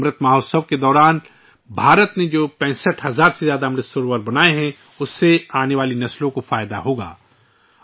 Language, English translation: Urdu, The more than 65 thousand 'AmritSarovars' that India has developed during the 'AmritMahotsav' will benefit forthcoming generations